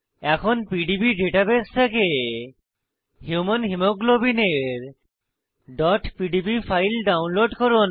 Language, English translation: Bengali, * Download the .pdb file of Human Hemoglobin from PDB database